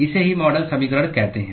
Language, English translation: Hindi, That is what is called the model equation